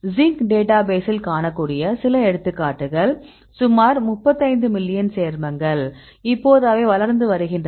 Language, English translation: Tamil, Some of the examples you can see Zinc database it is about 35 million compounds, now it is growing right